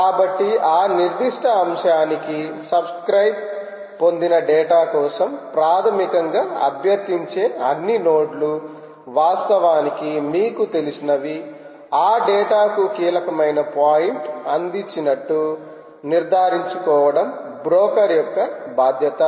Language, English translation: Telugu, it is the responsibility of the broker to ensure that all nodes that basically request for data to, to which subscribe to that particular topic, are actually, you know, served that data